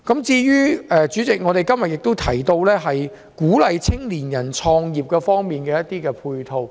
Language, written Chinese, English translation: Cantonese, 主席，我們今天也提到鼓勵青年人創業的配套。, President today we have also talked about the support for youth entrepreneurship